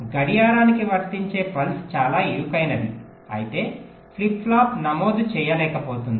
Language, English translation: Telugu, but what if the pulse that is apply to clock is so narrow that the flip flop is not able to register